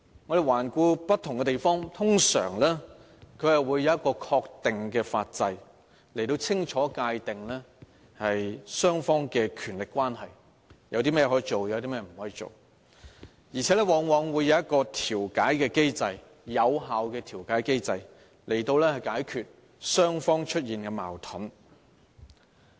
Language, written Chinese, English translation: Cantonese, 我們環顧不同地方，自治制度，通常會有一個確定的法制，清楚界定雙方的權力關係，列明甚麼可以做、甚麼不可做，而且往往設有有效的調解機制，以解決雙方出現的矛盾。, Looking around various places in the world we will realize that an autonomous system is normally defined by a specific legislation which clearly defines the powers and relations of the two sides as well as clearly states what should and should not be done . In most cases an effective mediation mechanism is also put in place to resolve conflicts between the two sides